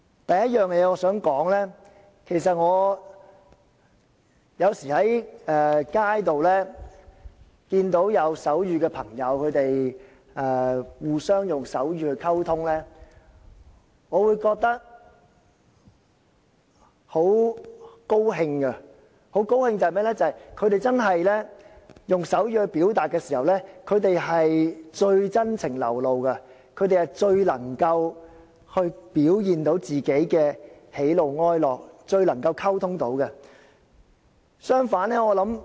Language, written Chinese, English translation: Cantonese, 第一點我想指出的是，有時候在街上看到有人互相用手語溝通，我會覺得很高興，因為聾人用手語表達的時候最為真情流露，最能夠表現自己的喜怒哀樂，最能夠作出溝通。, The first point that I want to say is that I feel very pleased when sometimes I see people on the street using sign language to communicate among themselves . It is because when deaf people use sign language they are very sincere and can express their feelings and emotions very candidly